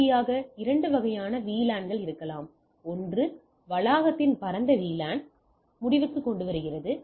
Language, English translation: Tamil, And finally, there can be two types of VLAN one is end to end campus wide VLAN